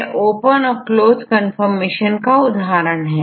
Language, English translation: Hindi, So, this is the example of the closed and opened confirmation